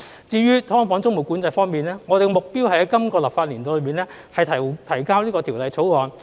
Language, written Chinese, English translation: Cantonese, 至於"劏房"租務管制方面，我們的目標是在本立法年度內提交條例草案。, As for tenancy control of subdivided units we aim to introduce a bill within the current legislative year